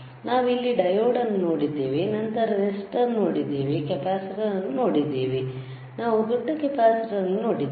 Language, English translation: Kannada, We have seen diode then we have seen resistor, we have seen resistor we have seen capacitor we have seen bigger capacitor